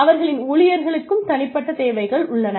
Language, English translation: Tamil, Their employees have unique needs